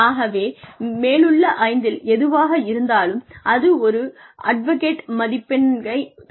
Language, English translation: Tamil, So, anything that is above five, probably would add up, and give an advocate score